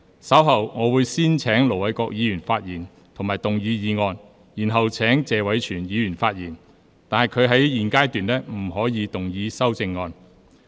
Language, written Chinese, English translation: Cantonese, 稍後我會先請盧偉國議員發言及動議議案，然後請謝偉銓議員發言，但他在現階段不可動議修正案。, Later I will first call upon Ir Dr LO Wai - kwok to speak and move the motion . Then I will call upon Mr Tony TSE to speak but he may not move the amendment at this stage